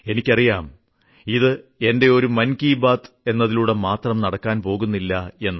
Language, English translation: Malayalam, I know that this will not happen with just one Mann Ki Baat